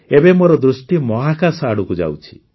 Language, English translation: Odia, Now my attention is going towards space